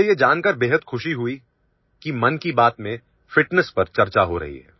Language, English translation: Hindi, I am very happy to know that fitness is being discussed in 'Mann Ki Baat'